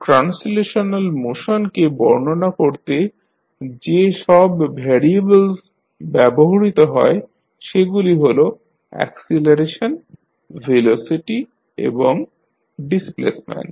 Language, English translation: Bengali, The variables that are used to describe translational motion are acceleration, velocity and displacement